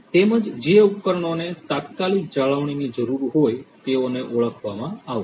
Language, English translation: Gujarati, Also the devices which would need immediate maintenance, they would be identified